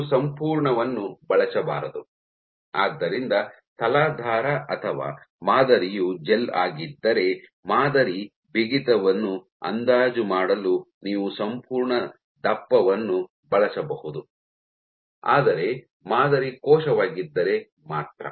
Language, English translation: Kannada, So, you should not use the entire, so if substrate or sample is the gel then, you can use the entire thickness to estimate the sample stiffness, but let us say if sample is the cell